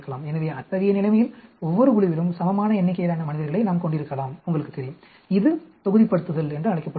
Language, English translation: Tamil, So, in such a situation we can have equal number of subjects in each group, you know, that is called blocking